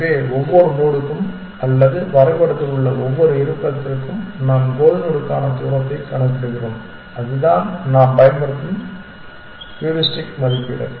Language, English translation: Tamil, So we say for each node or each location in the map we compute the distance to the goal node and that is the estimate of heuristic that we will use